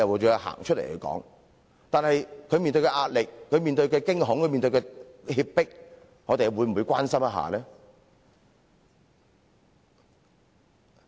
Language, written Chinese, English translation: Cantonese, 然而，他們所面對的壓力、驚恐和脅迫，我們又會否關心？, But do we care about the pressure fear and threat they are experiencing?